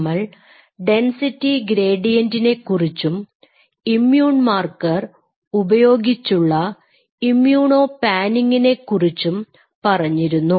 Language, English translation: Malayalam, We have talked about density gradient and we have talked about immuno panning where you are using an immune marker